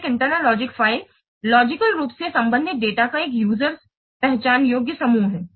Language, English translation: Hindi, So an internal logic file is a user identifiable group of logically related data